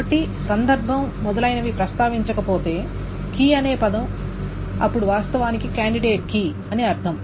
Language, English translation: Telugu, , if I just mention the word key, then it actually means a candidate key